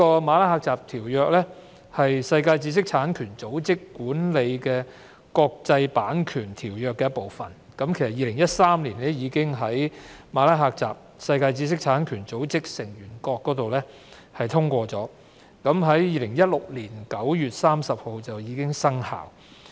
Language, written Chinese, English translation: Cantonese, 《馬拉喀什條約》是在世界知識產權組織轄下締結的國際條約，已於2013年由世界知識產權組織成員國通過，並於2016年9月30日生效。, The Marrakesh Treaty an international agreement concluded under the auspices of the World Intellectual Property Organization WIPO was adopted by Member States of WIPO in 2013 and came into force on 30 September 2016